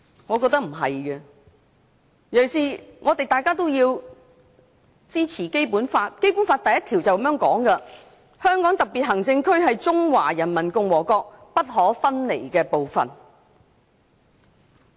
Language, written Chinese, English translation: Cantonese, 我認為不是，尤其是大家都要支持《基本法》，當中的第一條是這樣的："香港特別行政區是中華人民共和國不可分離的部分"。, I do not think so . In particular it is important for us to uphold the Basic Law . Article 1 of the Basic Law provides that The Hong Kong Special Administrative Region is an inalienable part of the Peoples Republic of China